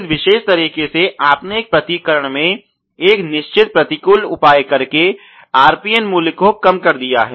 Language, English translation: Hindi, So, in this particular way you have reduced the RPN value by taking a certain counter measure in a counteraction